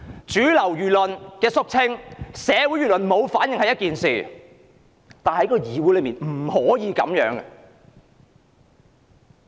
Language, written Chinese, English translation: Cantonese, 主流輿論的肅清或社會輿論沒反應是一回事，但議會之內卻絕對不可以這樣。, It does matter if mainstream public opinion has been cleared or public opinion has not made comments such act should absolutely not be tolerated in this Council